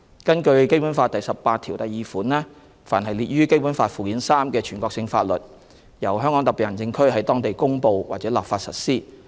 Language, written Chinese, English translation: Cantonese, 根據《基本法》第十八條第二款，凡列於《基本法》附件三之全國性法律，由香港特別行政區在當地公布或立法實施。, In accordance with Article 182 of the Basic Law the national laws listed in Annex III to the Basic Law shall be applied locally by way of promulgation or legislation by HKSAR